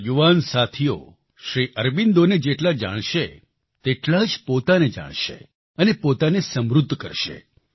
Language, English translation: Gujarati, The more my young friends learn about SriAurobindo, greater will they learn about themselves, enriching themselves